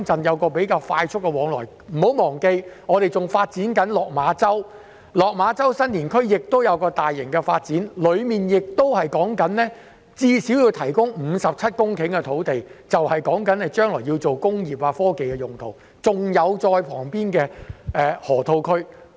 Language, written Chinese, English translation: Cantonese, 大家不要忘記，香港仍在發展落馬洲，落馬洲新田區也會有大型發展，當中最少要提供57公頃土地用作未來發展工業及科技，而旁邊就是河套區。, Members should not forget that Hong Kong is still developing Lok Ma Chau and there will also be large - scale development in the district of Lok Ma ChauSan Tin . At least 57 hectares of land in the district will be used for future industrial and technological development and the Loop just lies adjacent to it